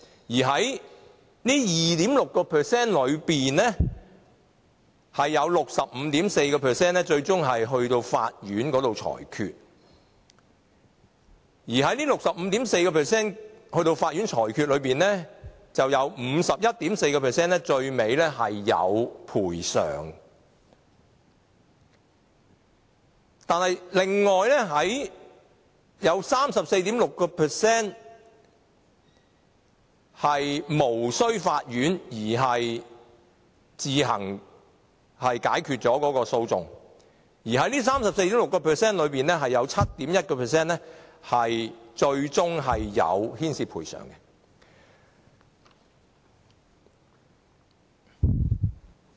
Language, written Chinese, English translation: Cantonese, 而這 65.4% 尋求法院裁決的個案中，有 51.4% 最終獲得賠償。但另外有 34.6% 是無須經法院自行解決了有關的訴訟，而在這 34.6% 中，有 7.1% 最終牽涉賠償。, The study finds that of the 3 517 lawsuits only 2.6 % of the doctors faced lawsuits for their alleged malpractices; of this 2.6 % 65.4 % ultimately sought a court ruling; and of this 65.4 % which have sought a court ruling 51.4 % were awarded compensation while the other 34.6 % which have settled the lawsuits without seeking a court ruling 7.1 % involved compensation